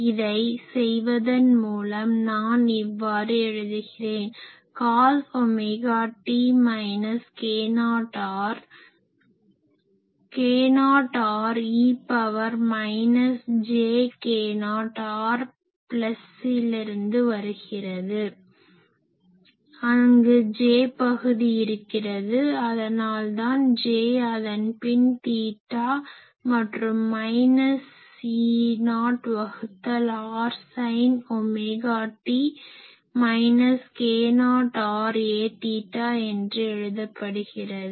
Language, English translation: Tamil, So, by doing that I can write it as cos omega t minus k not r k not r is coming from e to the power minus j k not r plus, there is a j term that is why it is j and then a theta and so, this can be written as minus E not by r sin